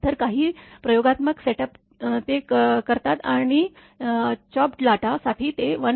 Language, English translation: Marathi, So, some experimental setup they do and they take 1